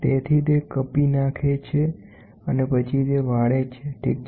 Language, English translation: Gujarati, So, it cuts and then it bends, ok